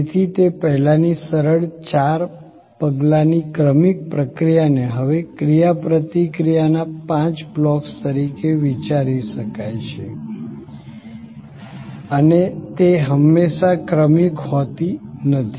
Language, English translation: Gujarati, So, that earlier simple four steps sequential process can be now thought of as five blocks of interaction and they are not always sequential